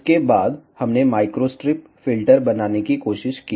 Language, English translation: Hindi, After that, we tried to make microstrip filter